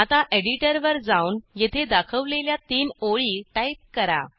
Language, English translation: Marathi, Now move back to our program and type the lines as shown here